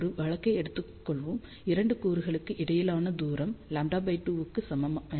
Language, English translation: Tamil, So, let us take a case when the distance between the 2 elements is equal to lambda by 2